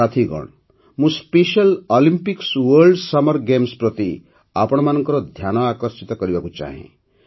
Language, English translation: Odia, Friends, I wish to draw your attention to the Special Olympics World Summer Games, as well